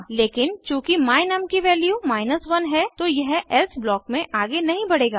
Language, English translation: Hindi, But since the value of my num = 1 it will not proceed to the else block